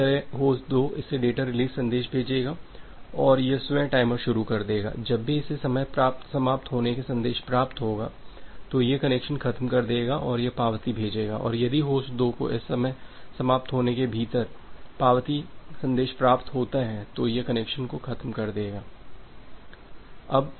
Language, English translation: Hindi, Similarly, host 2 it will send the data release message and it will start the own timer, whenever it is receiving the message from host 2 within this time out value it will release the connection and it will send the acknowledgement, and if host 2 is getting this acknowledgement message within this timeout value it will release the connection